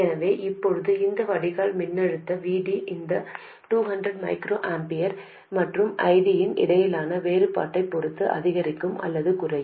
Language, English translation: Tamil, So now this drain voltage here, VD, will increase or decrease depending on the difference between this 200 microamperors and ID